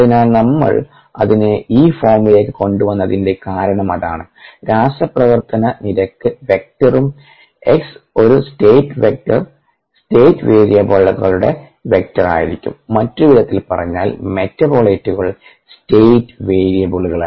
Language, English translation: Malayalam, so thats the reason why we got it into this form: reaction rate vector and x is a state vector, vector of state variables [vocalized noise], in other words, metabolites of state variables